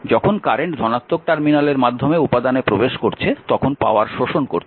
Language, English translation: Bengali, So, current actually entering through the negative terminal